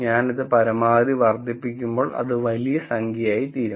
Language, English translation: Malayalam, So, when I maximize this it will be large number